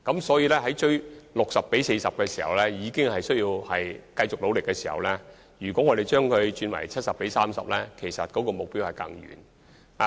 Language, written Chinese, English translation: Cantonese, 所以，連達到 60：40 這個目標比例也需要繼續努力的情況下，若把目標比例提升為 70：30， 將更屬可望而不可即。, Hence when it is still necessary for us to make continuing efforts to achieve the target ratio of 60col40 a higher ratio of 70col30 will only be something that is within sight but beyond reach